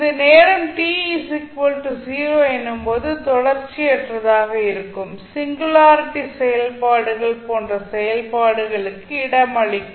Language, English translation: Tamil, So this will accommodate the functions such as singularity functions, which may be discontinuous at time t is equal to 0